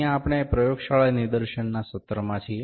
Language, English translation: Gujarati, We are in the Laboratory demonstration session here